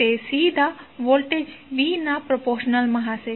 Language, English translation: Gujarati, That would be directly proposnal to voltage V